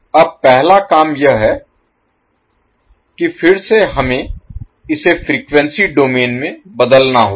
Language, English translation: Hindi, Now first task is that again we have to transform this into frequency domain